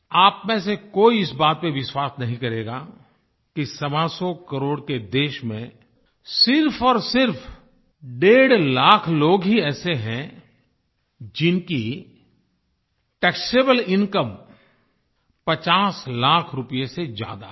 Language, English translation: Hindi, None of you will believe that in a country of 125 crore people, one and a half, only one and a half lakh people exist, whose taxable income is more than 50 lakh rupees